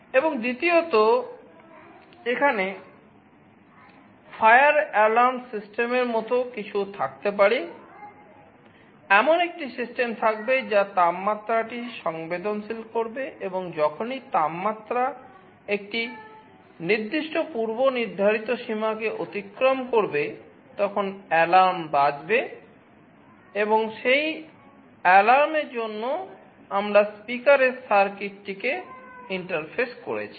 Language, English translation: Bengali, And secondly, there can be something like a fire alarm system, there will be a system which will be sensing the temperature and whenever the temperature crosses a certain preset threshold an alarm that will be sounded, and for that alarm we have interfaced a speaker circuit